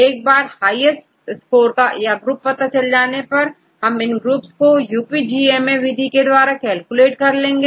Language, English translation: Hindi, Once with the highest score or the group and then from that groups you can calculate the UPGMA method to get the distance